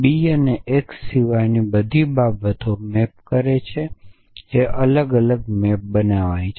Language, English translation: Gujarati, So, b maps everything like a does except for x which it maps differently